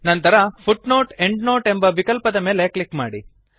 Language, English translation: Kannada, Then click on the Footnote/Endnote option